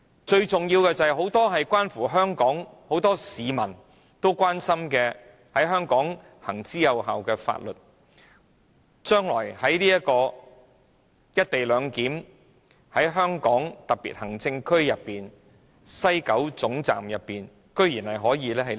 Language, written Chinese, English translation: Cantonese, 最重要的是，將來在"一地兩檢"下，很多市民關注的、在香港行之有效的很多法律無法於香港特別行政區西九龍站內實施。, Most importantly if the co - location arrangement is implemented in the future many laws that the public are concerned about and that have been effectively enforced in Hong Kong cannot be enforced at the West Kowloon Station of the Hong Kong Special Administrative Region HKSAR